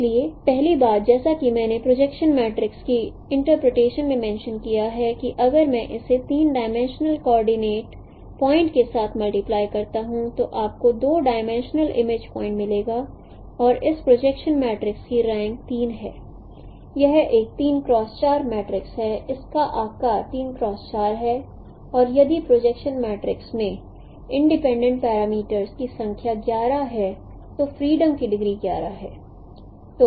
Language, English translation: Hindi, So first thing as I mentioned the interpretation of the projection matrix is that if I multiply it with the three dimensional coordinate point you will get the two dimensional image point and the rank of this position matrix is three it's a three cross four matrix its size is three cross four and the number of independent parameters in the projection matrix is 11